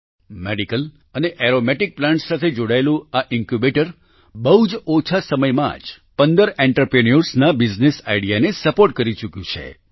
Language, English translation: Gujarati, In a very short time, this Incubator associated with medicinal and aromatic plants has supported the business idea of 15 entrepreneurs